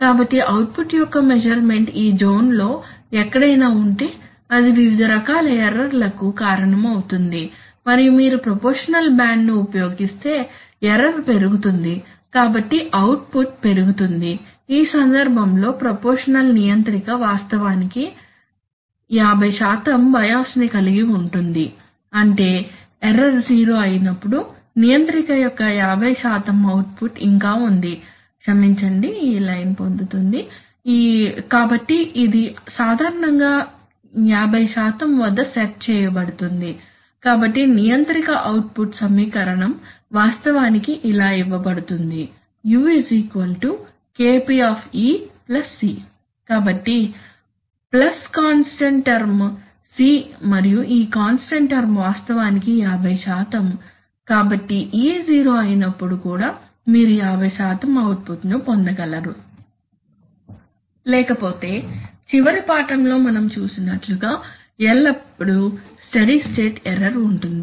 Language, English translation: Telugu, So look at, this diagram will clarify matters further, so here look at the controller input and suppose this is the set point, currently the set point is set here okay so if the measurement or the output is, the measurement of the output could be anywhere in this zone, so for very, so it will cause various kinds of error and if you use a proportional band then as the error will increase the output will increase, in this case the proportional controller actually has a 50% bias which means that, When the error is 0 there is still a 50% output of the controller, sorry this line is getting, so this is typically set at 50%, so there is a, so the controller output equation is actually given as u equal to Kp into e plus, plus a constant term, so plus a constant term C and this constant term is actually 50%, so when the e is zero still you get 50% output because otherwise they will always be a steady state error as we have seen in the last lesson